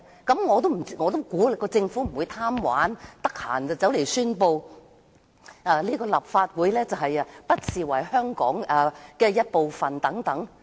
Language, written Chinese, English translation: Cantonese, 據我估計，政府不會因為貪玩而隨便宣布不把立法會視為香港的一部分。, I think the Government will not arbitrarily declare that the Legislative Council is no longer part of Hong Kong just for fun but the problem lies in the lack of trust